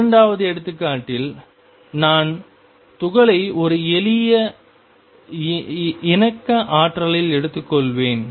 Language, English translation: Tamil, In the second example I will take the particle in a simple harmonic potential